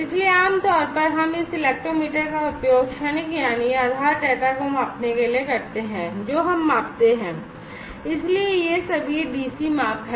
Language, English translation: Hindi, So, usually we use this electrometer to measure the transient that is the base data that we measure so these are all dc measurements